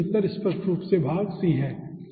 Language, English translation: Hindi, okay, so the correct answer is obviously part c we have shown